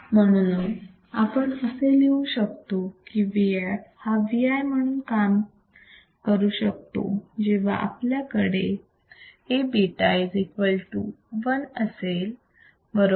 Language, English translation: Marathi, Therefore, we can write V f is enough to act as V i when we have A beta equals to 1 right